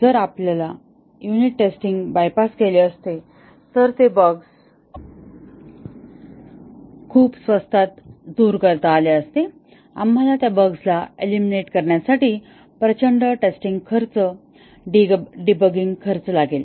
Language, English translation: Marathi, If we had bypassed unit testing, then those bugs which could have been eliminated very cheaply, we would incur tremendous testing cost, debugging cost for eliminating those bugs